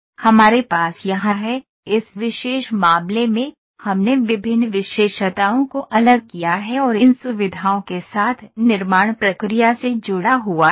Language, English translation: Hindi, So, we have here, in this particular case, we have distinguished different features and linked with these features to the manufacturing process